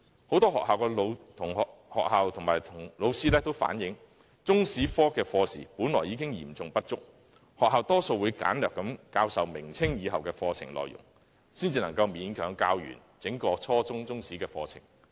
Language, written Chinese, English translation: Cantonese, 很多學校和老師均反映，中史科的課時本來已經嚴重不足，學校多數只簡略教授明朝及清朝以後的課程內容，才能勉強完成教授整個初中中史課程。, Many schools and teachers have relayed that the school hours allocated to the Chinese History subject is already seriously inadequate and as a result most schools can only briefly teach the curriculum contents of the period after the Ming and Ching Dynasties before they can barely complete the entire junior secondary curriculum on Chinese History